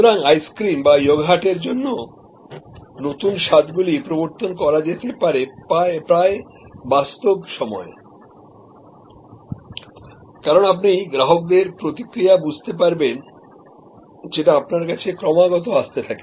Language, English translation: Bengali, So, new flavors can be introduced for ice cream or yogurt, almost in real time as you understand the customer reaction coming to you continuously